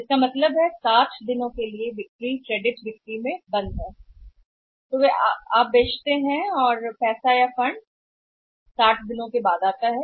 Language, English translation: Hindi, So, it means 60 days sales are blocked in the credit sales so they sell it today and the money comes after 60 days of funds come after 60 days